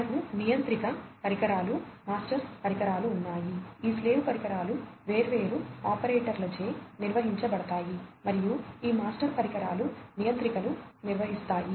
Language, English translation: Telugu, We have the controller devices, the master devices, these slave devices will be operated by different operators and these master devices by the controllers, right